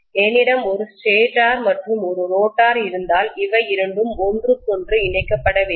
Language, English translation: Tamil, If I have a stator and if I have a rotor, both of them have to be linked with each other